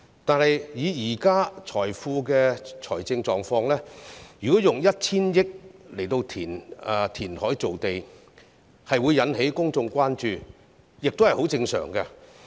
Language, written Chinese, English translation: Cantonese, 但是，以政府目前的財政狀況，如果用 1,000 億元填海造地，引起公眾關注也是十分正常的。, However given the current financial position of the Government it is only natural that there will be public concern if it spends the some 100 billion reclamation project will arouse public concern